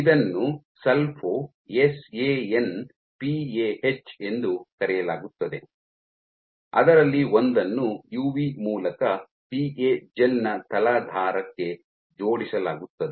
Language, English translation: Kannada, So, this is called Sulfo SANPAH one of which is linked via UV onto the substrate of the PA gel